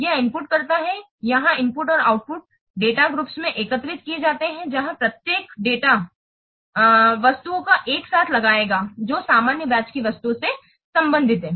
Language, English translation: Hindi, It inputs here the inputs and outputs are aggregated into data groups where each group will bring together data items that relate to the same object of interest